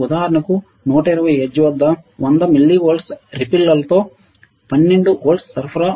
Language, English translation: Telugu, So, for example, a 12 volt supply with 100 milli volt of ripple at 120 hertz